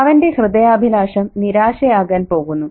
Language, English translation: Malayalam, His heart's desire is going to be disappointment